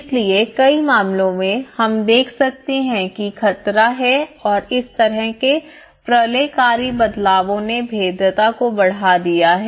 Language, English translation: Hindi, So in many cases, we can observe that there is threat and such kind of cataclysmic changes have led to increase vulnerability